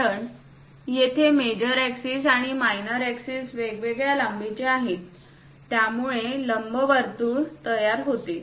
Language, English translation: Marathi, Because here the major axis and the minor axis are of different lengths, that is a reason it forms an ellipse